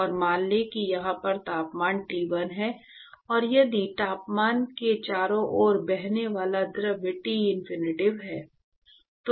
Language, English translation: Hindi, And let us say the temperature here is T1, and if the fluid which is flowing around the temperature is Tinfinity